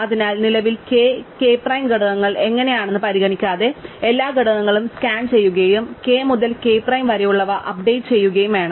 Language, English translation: Malayalam, So, regardless of what the components k and k prime currently look like, we will have to scan all the elements and update those which are k to k prime